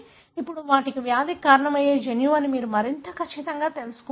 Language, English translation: Telugu, Then you become far more certain that these are the gene that causes the disease